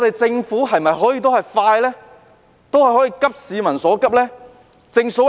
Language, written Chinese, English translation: Cantonese, 政府可否加快處理，急市民所急？, Can the Government expedite its work to address peoples pressing needs?